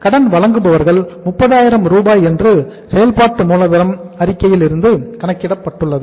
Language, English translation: Tamil, Suppliers credit 30,000 we have calculated from the working capital statement